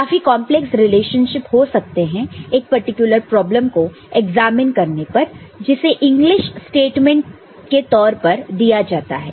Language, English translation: Hindi, There can be more complex relationship arrived at by examining a particular problem, which is given in the form of an English statement